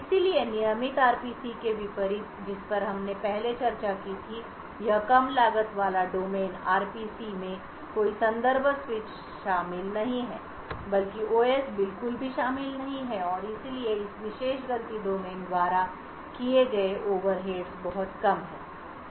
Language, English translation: Hindi, So, unlike the regular RPCs which we discussed previously this low cost fault domain RPC does not involve any context switch rather the OS is not involved at all and therefore the overheads incurred by this particular fault domain is extremely less